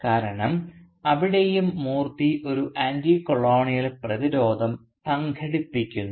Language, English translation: Malayalam, Because there too Moorthy manages to organise an Anticolonial resistance